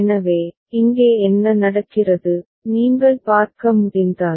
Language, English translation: Tamil, So, what is happening here, if you can see